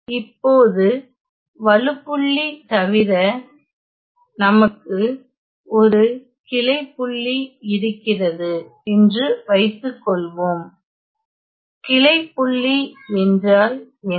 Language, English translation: Tamil, Now besides singularity suppose we have a branch point; so what is branch point